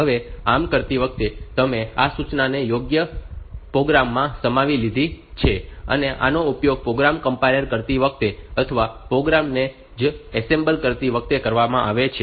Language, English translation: Gujarati, Now, while doing that so, you have incorporated these instructions into the program and this is use this is done at the time of compiling the program itself, or assembling the program itself